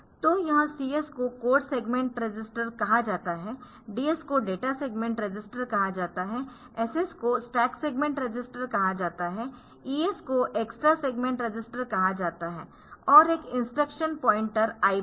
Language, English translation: Hindi, So, they are called this CS stands for code segment register, DS stands for data segment register, SS stands for stag segment register, ES is called extra segment register and there is one instruction point are IP